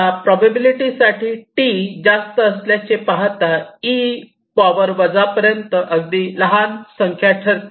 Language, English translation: Marathi, so you see, as the t is high, for this probability means two to the power minus a very small number